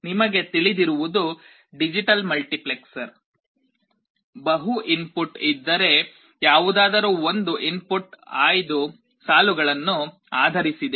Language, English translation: Kannada, You know what is the digital multiplexer is; if there are multiple inputs, one of the inputs are selected based on the select lines